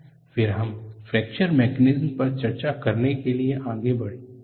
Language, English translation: Hindi, Now, we move on to fracture mechanisms